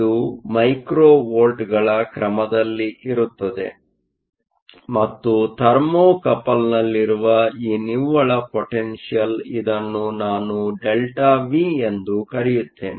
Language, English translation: Kannada, This potential is usually very small, it is of the order of micro volts and this net potential in the thermocouple, So, let me call it delta V